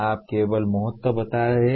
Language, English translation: Hindi, You are only stating the importance